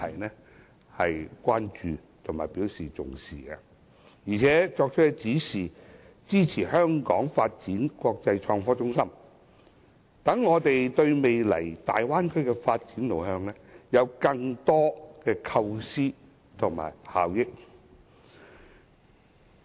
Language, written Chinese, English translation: Cantonese, 習主席對此表示關注和重視，並作出指示，支持香港發展成為國際創科中心，讓我們對未來大灣區的發展路向提出更多的構思和提升效益。, President XI in return expressed his great concern and made a directive supporting Hong Kongs development into an international IT hub . We are thus able to contribute more ideas to the future development of the Bay Area and help enhance its efficiency